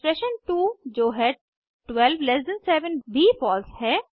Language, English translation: Hindi, Expression 2 that is 127 is also false